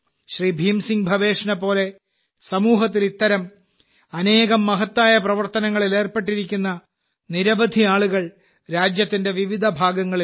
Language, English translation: Malayalam, There are many people like Bhim Singh Bhavesh ji in different parts of the country, who are engaged in many such noble endeavours in the society